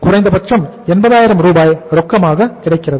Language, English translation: Tamil, At least 80,000 is is available as cash